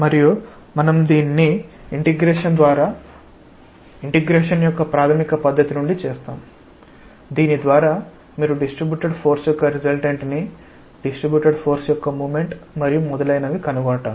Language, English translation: Telugu, And we will just do it from the fundamental method of integration by which you find out the resultant of a distributed force the resultant moment of distributed force and so on